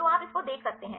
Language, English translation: Hindi, So, you can see this right